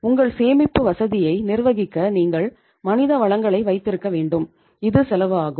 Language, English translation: Tamil, You have to have human resources to manage your storing facility, it has a cost